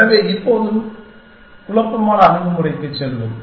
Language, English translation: Tamil, So, let us now go to the perturbative approach